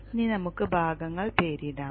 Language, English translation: Malayalam, Before that let us name the parts